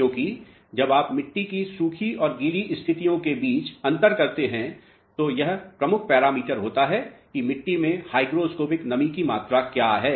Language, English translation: Hindi, Because, when you differentiate between dry and wet conditions of the soil this is the prime parameter what is the amount of hygroscopic moisture content of the soil mass